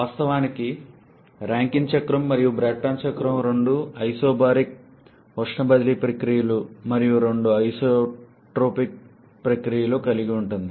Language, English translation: Telugu, Of course, both Rankine cycle and Brayton cycle involves two isobaric heat transfer processes and two isentropic processes